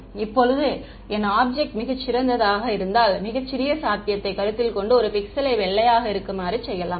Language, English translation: Tamil, Now if my object is very small considering the smallest possibility one pixel white right